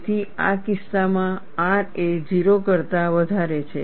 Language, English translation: Gujarati, And we work on R 0 or R greater than 0